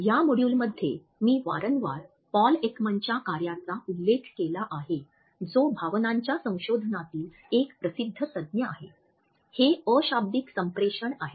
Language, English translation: Marathi, In this module, I have repeatedly referred to the work of Paul Ekman who is a renowned expert in emotions research, a non verbal communication